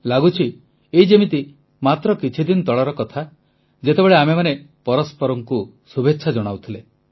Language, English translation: Odia, It feels like just a matter of a few days ago when we were exchanging good wishes with each other